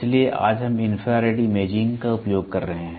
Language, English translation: Hindi, So, today we are using infrared imaging